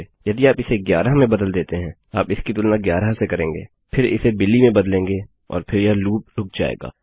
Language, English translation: Hindi, If you change this to 11, youll compare it to 11, then change it to Billy and then itll end the loop